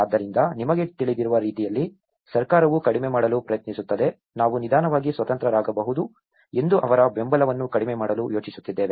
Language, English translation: Kannada, So, in that way you know, the government also try to reduce, we are planning to reduce their supports that they can slowly become independent